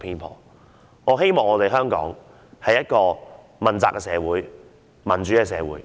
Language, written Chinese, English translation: Cantonese, 我盼望香港成為一個問責的社會、一個民主的社會。, I look forward to Hong Kongs becoming a society built upon democratic accountability